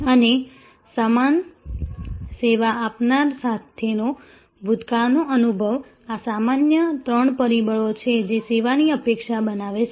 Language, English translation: Gujarati, And past experience with the same service provider, these are the usual three drivers that creates the service expectation